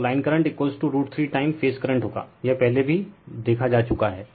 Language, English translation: Hindi, So, line current will be is equal to root 3 times phase current, this we have seen earlier also